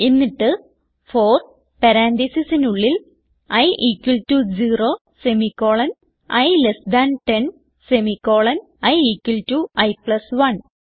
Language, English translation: Malayalam, Then for within parenthesis i equal to 0 semicolon i less than 10 semicolon i equal to i plus 1